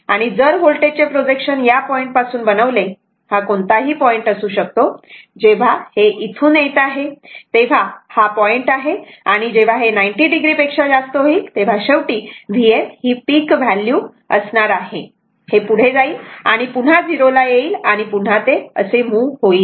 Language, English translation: Marathi, So, in that case what will happen, and if you make the projection of the voltage from this point, it is some point will be there when it is coming to this one, this is the your what you call this point, and when will come to more than 90 degree it is a peak value V m finally, it will go and come to 0 and again it will move like this